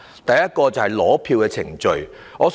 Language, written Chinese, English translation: Cantonese, 第一點是取選票的程序。, My first point concerns the procedure for issuing ballot papers